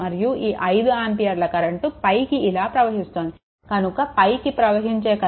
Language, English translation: Telugu, And this 5 ampere direction is upward, so upward direction current is actually i 2 minus i 1 this i 2 and minus a i 1 right